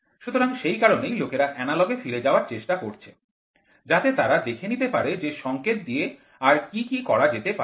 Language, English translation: Bengali, So, that is why people are moving back to analog to see what they can do with the signals